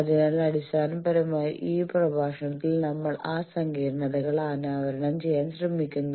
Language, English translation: Malayalam, So basically, in this lecture we will try to unravel those complicacies